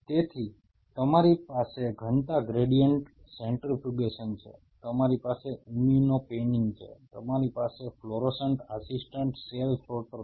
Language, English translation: Gujarati, So, you have density gradient centrifugation, you have immuno panning you have fluorescent assisted cell sorter